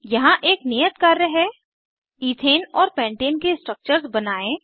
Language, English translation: Hindi, Here is an assignment Draw Ethane and Pentane structures